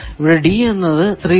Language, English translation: Malayalam, So, d is 3